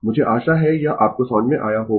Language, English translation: Hindi, I hope this is understandable to you